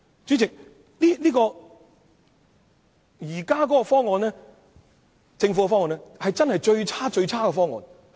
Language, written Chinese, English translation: Cantonese, 主席，政府現行的方案真是最差勁的方案。, President the existing arrangement from the Government is truly the worst option of all